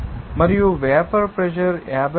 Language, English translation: Telugu, 91 and vapour pressure is 54